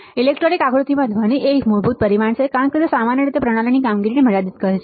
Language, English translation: Gujarati, Noise in fundamental parameter to be considered in an electronic design it typically limits the overall performance of the system